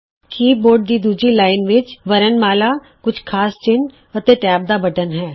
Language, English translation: Punjabi, The second line of the keyboard comprises alphabets few special characters, and the Tab key